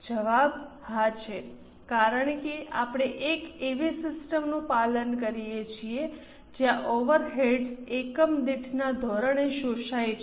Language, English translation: Gujarati, The answer is yes because we follow a system wherein the overheads are absorbed on per unit basis